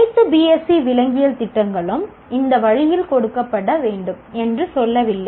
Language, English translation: Tamil, It is not saying that all BSC Zoology programs have to be given this way